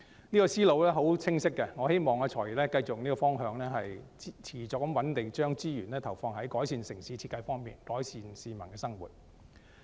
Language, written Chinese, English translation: Cantonese, 這思路是十分清晰的，我希望"財爺"繼續循這方向，持續穩定地將資源投放在改善城市設計方面，改善市民的生活。, With this crystal clear line of thought I hope that the Financial Secretary FS continues along this direction to consistently put resources into improving municipal design for peoples better life